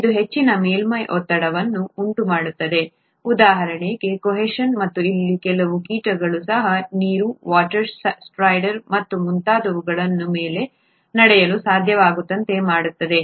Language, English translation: Kannada, This results in a high surface tension, for example, cohesion and makes even some insects to be able to walk on water, the water strider and so on